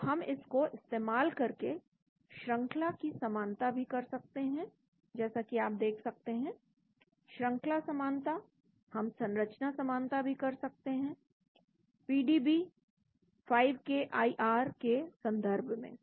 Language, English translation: Hindi, so we can do a sequence similarity also using this as you can see, sequence similarity we can also do structural similarities, in the case of PDB 5KIR